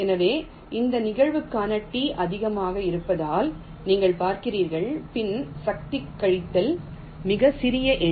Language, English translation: Tamil, so you see, as the t is high, for this probability means two to the power minus a very small number